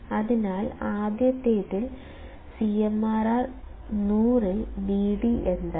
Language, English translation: Malayalam, So, in the first one, CMRR equals to 100 Vd is what